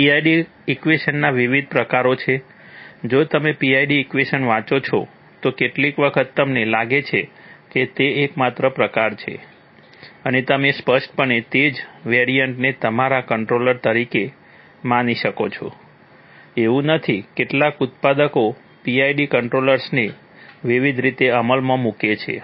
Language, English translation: Gujarati, There are various variants of the PID equation, if you read the PID equation, sometimes you feel that, that is the only variant and you might implicitly assume the same variant to be existing your controller, that is not the case, the several manufacturers implement PID controllers in various ways